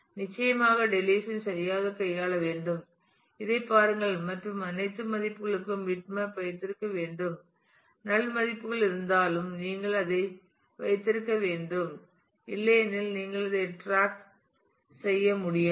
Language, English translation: Tamil, Of course, the deletion has to be handled properly look at this and should keep bitmap for all values even if there are null values you must keep that otherwise you will lose track of that